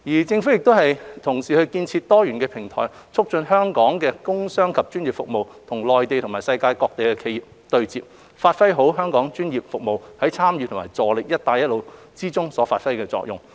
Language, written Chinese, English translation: Cantonese, 政府同時建設多元平台，促進香港的工商及專業服務與內地及世界各地的企業對接，讓香港專業服務業界在參與和助力"一帶一路"建設中發揮作用。, In the meantime the Government is building diversified platforms to facilitate the interface between the business industrial and professional services sectors of Hong Kong and the enterprises both in the Mainland and around the world in order that Hong Kongs professional services sectors can play a role in participating in and contributing to the development of BR Initiative